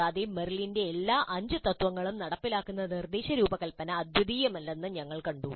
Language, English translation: Malayalam, And we saw that the instruction design which implements all the five Merrill's principles is not unique